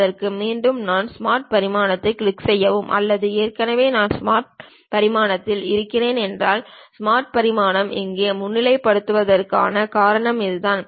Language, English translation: Tamil, For that again I can click Smart Dimension or already I am on Smart Dimension; that is the reason the Smart Dimension is highlighted here